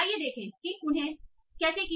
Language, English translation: Hindi, So let us see how they did that